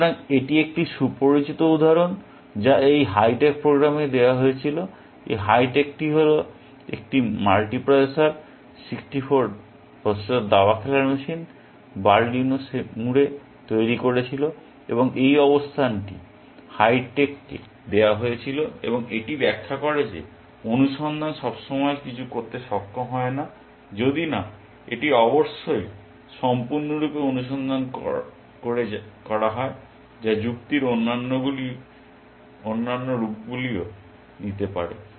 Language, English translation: Bengali, So, this is a well known example which was fed to this hi tech program, this hitech was a multi processor, 64 processor chess playing machine developed by Berlino in Seymour, and this position was given to hi tech and it illustrates that search is not always capable of doing something, unless it is full search of course, which are other forms of reasoning can do